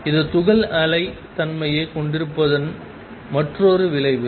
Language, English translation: Tamil, This is another consequence of particle having a wave nature